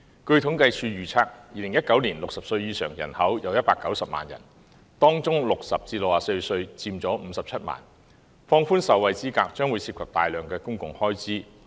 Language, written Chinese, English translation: Cantonese, 據政府統計處預測，在2019年60歲以上人口有190萬人，當中60歲至64歲人口佔57萬，放寬受惠資格將涉及大量公共開支。, According to the projections of CSD in 2019 there are 1.9 million people aged 60 or above . Among them the number of people aged between 60 and 64 stands at 570 000 so relaxing the eligibility will incur a large sum in public expenditure